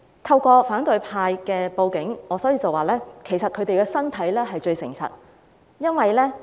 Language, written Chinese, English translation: Cantonese, 透過反對派報警的例子，我要指出的是，他們的身體最誠實。, By citing these examples of reporting to the Police by the opposition camp I wish to point out that their bodies tell no lies